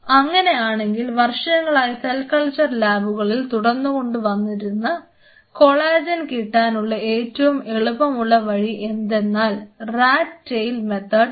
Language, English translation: Malayalam, There is a very easier way to isolate collagen which has been followed years together by most of the cell culture lab that is called Rat tail methods Rat Tail Collagen